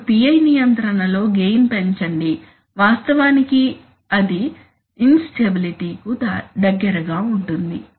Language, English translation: Telugu, Now increase the gain in a PI control will actually take it closer to instability